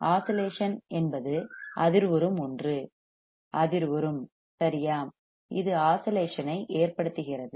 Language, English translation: Tamil, Oscillations is something vibrating is something vibrating right that also causes the oscillation